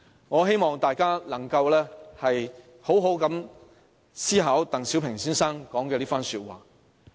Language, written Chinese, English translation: Cantonese, "我希望大家能夠好好思考鄧小平先生的這番話。, I hope that Members can thoroughly consider these words of Mr DENG Xiaoping